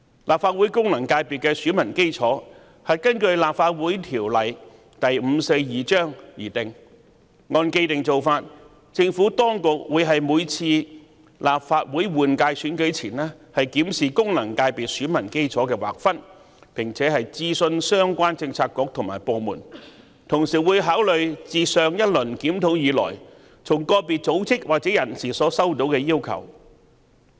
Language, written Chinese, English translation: Cantonese, 立法會功能界別的選民基礎是根據《立法會條例》而定，而按既定做法，政府當局在每次立法會換屆選舉前均會檢視功能界別選民基礎的劃分並諮詢相關政策局和部門，同時會考慮自上一輪檢討以來從個別組織或人士所收到的要求。, The electorate of FCs in the Legislative Council is provided for under the Legislative Council Ordinance Cap . 542 and following the established practice before each Legislative Council General Election the Administration will conduct a review of the delineation of the electorate of FCs in consultation with the relevant bureaux and departments while giving consideration to requests received from individual bodies or persons since the last review